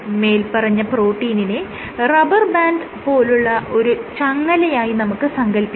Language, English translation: Malayalam, So, you think of a protein as a chain, this as a rubber band